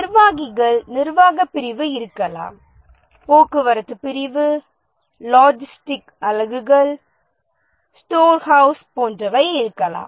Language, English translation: Tamil, There may be administrators, administration unit, there may be transportation unit, logistic units, storehouse, etc